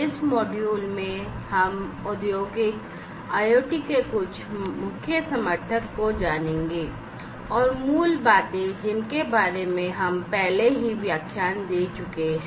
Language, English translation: Hindi, In this module, we are going to go through, some of the Key Enablers for Industrial IoT, and the basics of which we have already gone through in the previous lectures